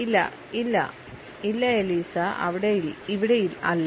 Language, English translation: Malayalam, No no no no Eliza no here at all